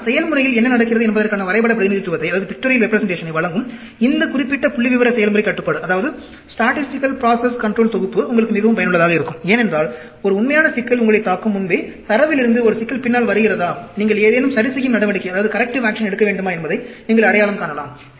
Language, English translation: Tamil, But, this particular set of statistical process control, giving a pictorial representation of what is happening to the process, is extremely useful, because, before a real problem hits you, you can, from the data, identify whether a problem is looming behind the scene, whether you need to take any corrective action